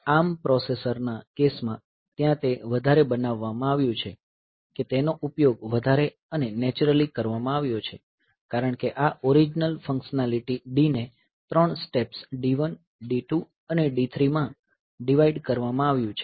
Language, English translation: Gujarati, In case of ARM processor, so, there that it has been made much it has been used much more and naturally since this original functionality D has been divided into 3 steps D 1, D 2 and D 3